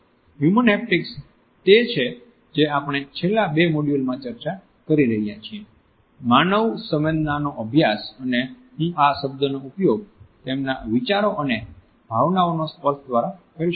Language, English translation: Gujarati, Human haptics is what we have been discussing in the last two modules, the study of human sensing and if I can use this word manipulation of their ideas and emotions through touch